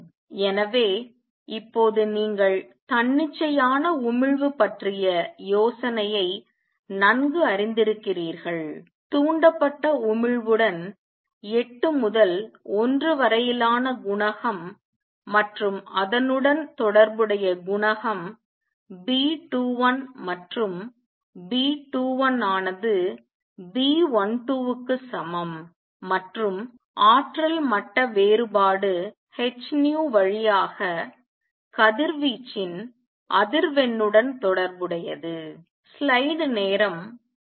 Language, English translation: Tamil, So, hopefully by now you are getting familiar and comfortable with the idea of spontaneous emission there coefficient 8 to 1 with the stimulated emission and the corresponding coefficient B 21 and B 21 is equal to B 12 and the energy level difference is related to the frequency of radiation is through h nu